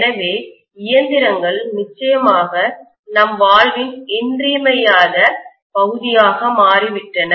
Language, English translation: Tamil, So machines have become definitely an essential part of our life